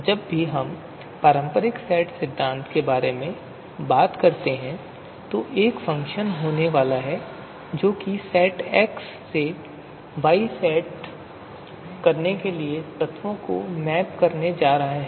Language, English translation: Hindi, So whenever we talk about you know conventional set theory there is going to be a function which is which is going to map elements from set x to set y